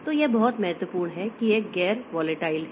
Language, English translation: Hindi, So, this is very important that it is a non volatile